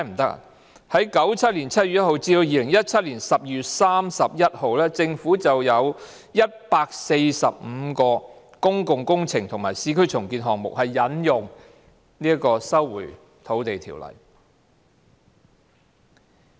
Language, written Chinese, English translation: Cantonese, 在1997年7月1日至2017年12月31日期間，政府已有145項公共工程及市區重建項目是引用《條例》收回土地。, Why should the Government not do so? . Between 1 July 1997 and 31 December 2017 the Government resumed land under the Ordinance in 145 public works projects and urban renewal projects